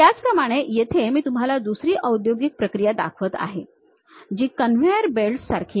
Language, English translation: Marathi, Similarly, here I am showing you another industrial process, something like conveyor belts